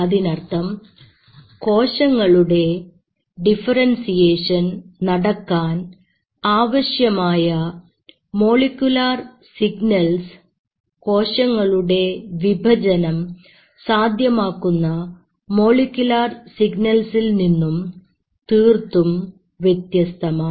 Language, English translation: Malayalam, So it means the signals which are needed for the differentiation or the molecular signals to be precise are not same as the molecular signals you needed for division